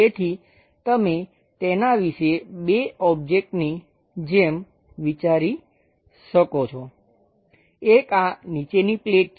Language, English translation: Gujarati, So, you can think of it like two objects; one is this plate bottom one